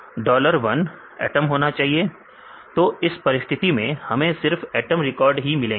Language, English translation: Hindi, So, it is very strict condition dollar 1 should be atom; so in this case we will get only atom records